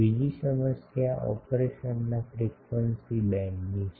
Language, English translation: Gujarati, Another problem is the frequency band of operation